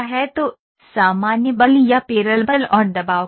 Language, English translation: Hindi, So, what is the normal force or pedal force and pressure